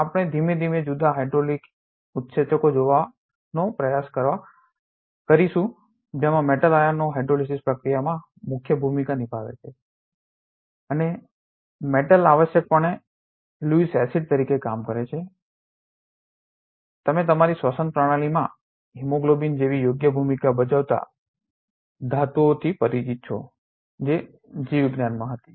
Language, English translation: Gujarati, We will also try to see slowly different hydrolytic enzymes wherein metal ions plays a key role in hydrolysis reaction and metal is essentially acting as Lewis acid of course, you are familiar with metals playing a crucial role in our respiratory systems such as hemoglobin right that is found in biology